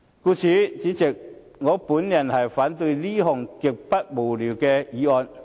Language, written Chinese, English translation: Cantonese, 故此，主席，我反對這項極之無聊的議案。, Therefore President I oppose this extremely boring motion